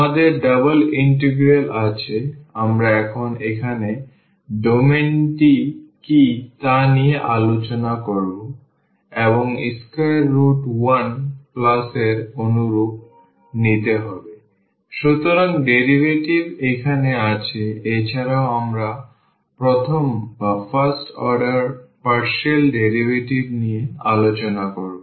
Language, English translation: Bengali, We have the double integral, we will discuss this what is the domain here now and the square root we will take 1 plus like similar to here we have the derivative here also we have the first order partial derivative